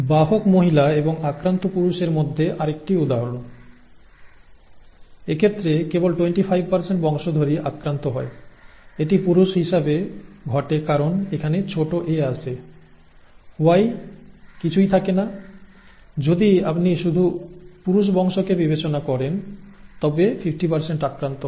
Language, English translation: Bengali, Another example between a carrier female and an affected male; in this case only 25% of the offspring are affected, it happens to be a male because the small a comes here, the Y does not have anything, the if you consider the male offspring alone, 50% are affected